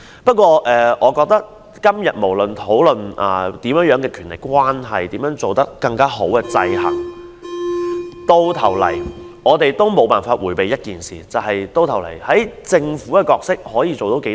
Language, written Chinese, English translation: Cantonese, 不過，我覺得今天我們怎樣討論甚麼權力關係，如何改善制衡制度等，到頭來我們都無法迴避一件事，就是政府究竟扮演甚麼角色？, However I feel that no matter how much we discuss the relationship of power and how to improve the check and balance system in the end we cannot evade one issue which is the role the Government